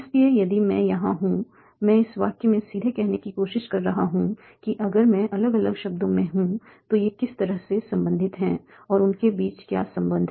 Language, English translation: Hindi, So like that I'm, so here I'm trying to directly say in this sentence if I am different words are these related somehow and what is the relation between them